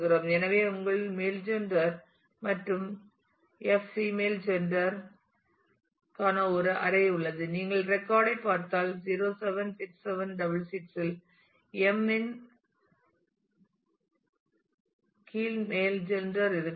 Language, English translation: Tamil, So, you have a array for m the male gender and f female gender and if you look into the record 076766 has male under m gender m